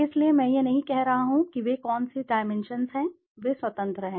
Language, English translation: Hindi, So but I am not saying which dimensions are they, they are free do that